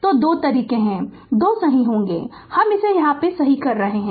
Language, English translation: Hindi, So, there are 2 ways it will be 2 right I am correcting it right